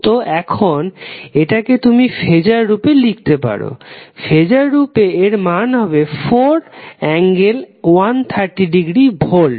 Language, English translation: Bengali, So now what you will write in phaser terms, the phaser terms, the value of this sinusoid is 4 angle 130 degree volt